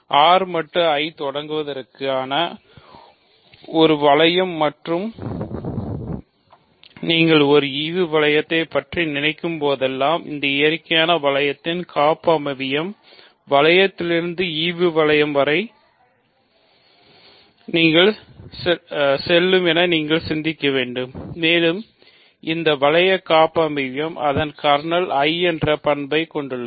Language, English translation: Tamil, So, R mod I is a ring to begin with and whenever you think of a quotient ring you have to also think of this natural ring homomorphism from the ring to the quotient ring and the that ring homomorphism has the property that its kernel is I